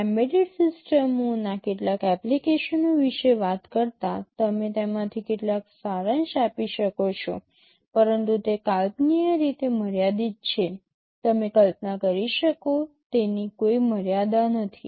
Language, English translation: Gujarati, Now talking about some applications of embedded systems, you can summarize some of them, but they are limited by imagination, there is no limit to what you can imagine